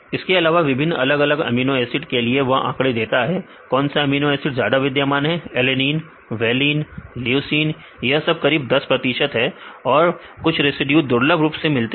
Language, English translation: Hindi, Then also they give the statistics for the different amino acid residues which residue is highly occurring amino acid residues, alanine, valine, leucine these are having about 10 percent, then few residues are rarely occurring amino acids